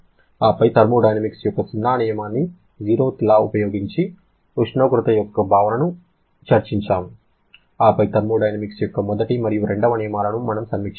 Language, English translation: Telugu, Then, the concept of temperature was introduced using the zeroth law of thermodynamics, then we reviewed the first and second law of thermodynamics